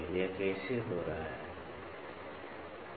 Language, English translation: Hindi, How is this happening, ok